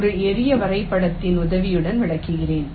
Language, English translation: Tamil, let me just illustrate with the help of a simple diagram